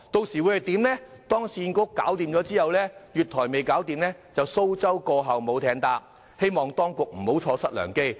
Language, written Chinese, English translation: Cantonese, 否則，當市建局完成重建而月台還未擴建的話，便會出現"蘇州過後無艇搭"的情況，希望當局不要錯失良機。, Otherwise a golden opportunity will be missed if the expansion works are still underway upon the completion of the redevelopment works carried out by URA . I hope the golden opportunity will not be missed